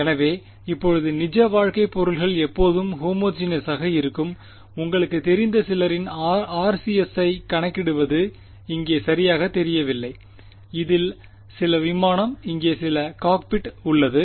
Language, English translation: Tamil, So, right now real life objects will they always be homogenous; obviously not right think of your things that your calculating the RCS of some you know aircraft over here right this is some aircraft there is some cockpit over here